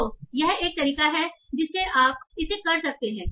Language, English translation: Hindi, So this is one way you can handle this